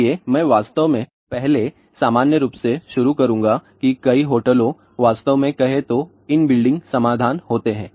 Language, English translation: Hindi, So, I will actually start first in general that many hotels actually speaking have in building solution